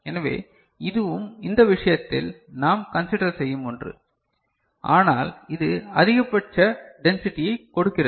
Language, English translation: Tamil, So, that is also something which we consider in this case, but it provides the maximum density